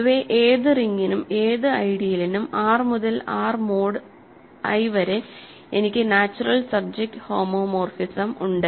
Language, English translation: Malayalam, In general for any ring R any idea I we have a natural subjective homomorphism from R to R mod I